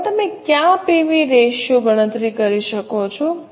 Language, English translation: Gujarati, Now what are the 4 PV ratios can you calculate